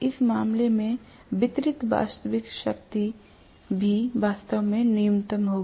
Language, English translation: Hindi, In the case, the real power delivered will also be really, really minimal